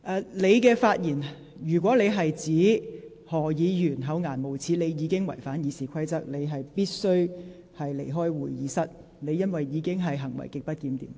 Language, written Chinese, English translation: Cantonese, 劉議員，如果你的發言是指何議員厚顏無耻，你已經違反《議事規則》，你必須離開會議廳，因為你的行為已屬極不檢點。, Dr LAU if you accused Dr HO of being shameless in you speech you have violated the Rules of Procedure . You must withdraw from the Chamber immediately as you conduct is grossly disorderly